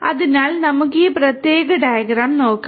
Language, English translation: Malayalam, So, let us look at this particular diagram